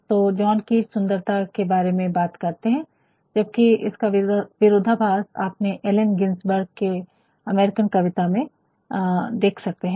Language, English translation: Hindi, So, John Keats talk about talks about beauty whereas, you see the contrast Allen Gingsberg and American poem